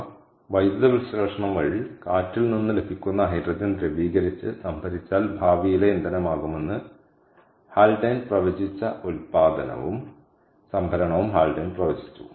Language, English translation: Malayalam, the haldane predicted that hydrogen derived from wind power via electrolysis, liquefied and stored, will be the fuel of the future